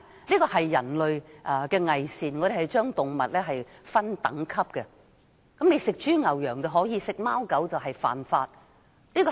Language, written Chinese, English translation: Cantonese, 這是人類的偽善，我們將動物分等級，豬、牛、羊可以吃，吃貓吃狗則犯法。, This is human beings hypocrisy as they classify animals into different classes while eating pigs cattle and sheep is allowed eating cats and dogs is prohibited by law